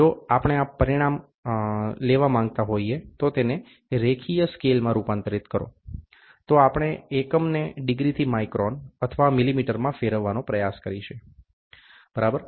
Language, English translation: Gujarati, If you are if we wanted to take this degree and then convert it into a linear scale, then we try to convert the units from degrees to microns or millimeter, ok